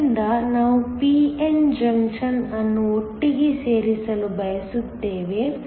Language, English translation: Kannada, So, we want to put together this p n junction